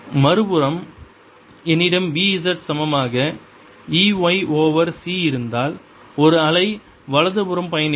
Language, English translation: Tamil, z equals e, y over c, a wave would be traveling to the right